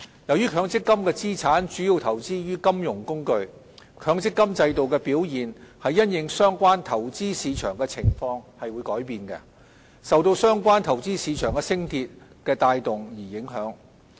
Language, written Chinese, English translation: Cantonese, 由於強積金資產主要投資於金融工具，強積金制度的表現因應相關投資市場的情況而改變，受到相關投資市場的升跌所帶動。, Since MPF assets are primarily invested in financial instruments the performance of the MPF System hinges on the conditions of and is driven by corresponding changes in underlying investment markets